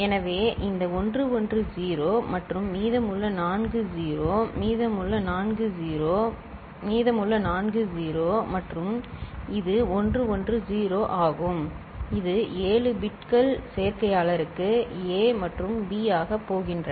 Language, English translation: Tamil, So, this 110 and rest four are 0; rest four are 0; rest four are 0 and this is 110 that is this seven bits are going for as A and B for the adder, is it clear right